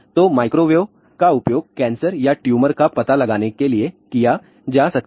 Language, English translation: Hindi, So, microwave can be used for cancer or tumor detection